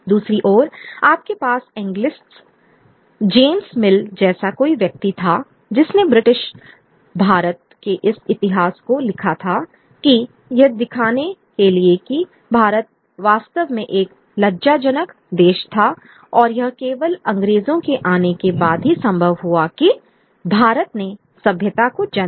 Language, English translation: Hindi, On the other hand you had the Anglicist someone like James Mill who wrote this history of British India to show that India really was an inglorious country and it is only with the coming of the British that India rises to civilization